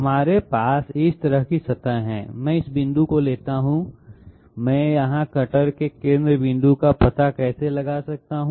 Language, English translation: Hindi, We have a surface of this type here, I take this point, how can I find out the centre point of the cutter here